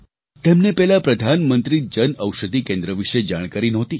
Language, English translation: Gujarati, Earlier, he wasn't aware of the Pradhan Mantri Jan Aushadhi Yojana